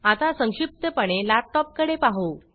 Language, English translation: Marathi, Now, let us briefly look at a laptop